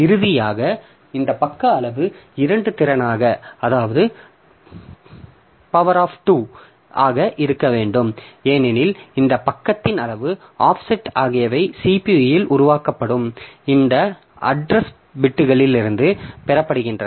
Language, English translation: Tamil, And finally, this page size should be a power of 2 because this page size, this offsets, so they are derived from this address bits that are generated by CPU